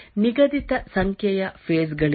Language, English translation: Kannada, There is no fixed number of phases